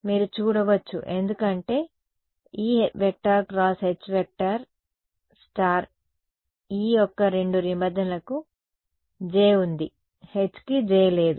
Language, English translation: Telugu, You can see that because E cross H conjugate E both the terms of E they have a j H has no j right